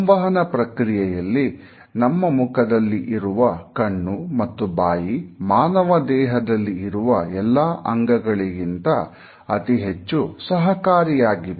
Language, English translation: Kannada, Our face has eyes and mouth, which are the most communicative organs in our human body